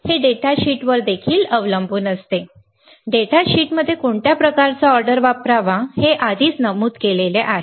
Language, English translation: Marathi, It also depends on the datasheet; what kind of order it is to use in the data sheet is already mentioned